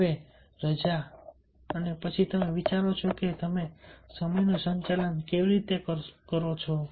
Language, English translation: Gujarati, it can be holiday and then you think: are you manage time